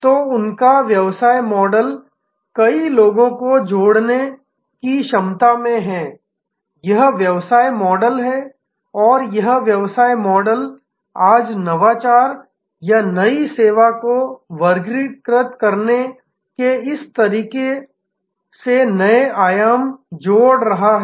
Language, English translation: Hindi, So, their business model is in this ability to connect many to many, this is the business model and that business model is today adding new dimensions to this way of classifying innovation or new service